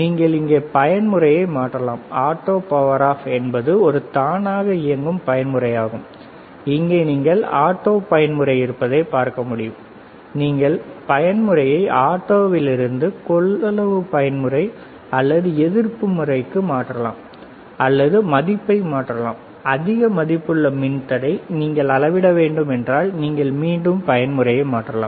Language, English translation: Tamil, You can change the mode here you see there is a auto power off is a auto mode you can see here auto mode is there, right, you can change the mode from auto to capacitance mode or resistance mode, or the or you can change the value, suppose is a higher value of resistor you can again change the mode